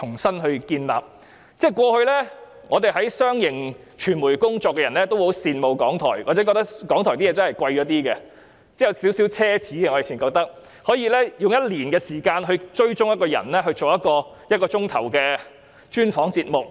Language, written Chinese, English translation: Cantonese, 過去，我們在商營傳媒機構工作的人皆十分羨慕港台，或認為港台的製作較為奢侈，因為他們可以花上一年時間追蹤一個人，以製作一個1小時的專訪節目。, In the past those who worked for commercial media organizations like us were envious of RTHK . Or we would think that RTHKs productions were extravagant because they could spend a whole year following a person in order to produce a one - hour feature episode